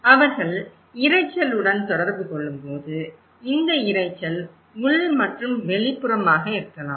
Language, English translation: Tamil, When they are communicating with the noise, this noise could be internal and also could be external